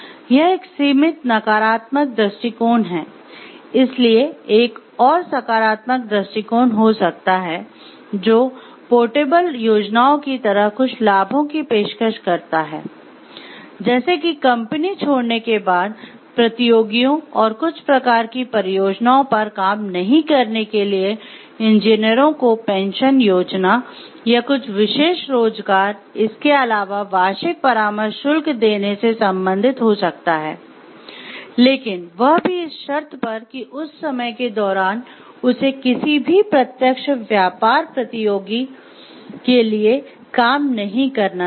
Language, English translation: Hindi, Another approach could be a positive approach which it is to offer certain benefits; like portable plans, say pension plans to engineers for not working with competitors and certain kinds of projects after leaving the company or could relate to offering special post employment, annual consulting fees on the condition that he or she should not be working for a direct competitor during that period